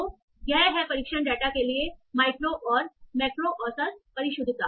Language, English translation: Hindi, That is my micro and macro average precision